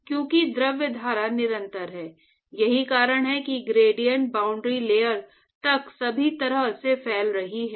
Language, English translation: Hindi, So, because the fluid stream is continuous, that is why the gradient is propagating all the way up to the boundary layer